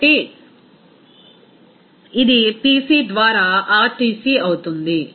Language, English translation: Telugu, So, it will be RTc by Pc